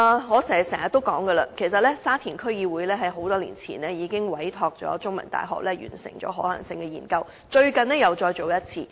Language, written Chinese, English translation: Cantonese, 我經常說，沙田區議會在多年前已委託香港中文大學完成可行性研究，最近又再進行一次。, As I always say the Sha Tin District Council already commissioned The Chinese University of Hong Kong to conduct a feasibility study many years ago and also recently